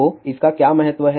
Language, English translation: Hindi, So, what is the significance of this